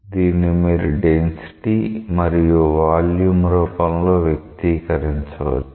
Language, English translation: Telugu, You can express it in terms of the density and the volume